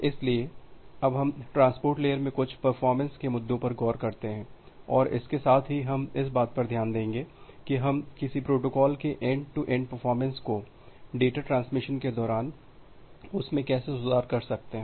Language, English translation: Hindi, So now, we look into certain performance issues in transport layer and along with that we will look into that how we can improve the end to end performance of a protocol or during the data transmission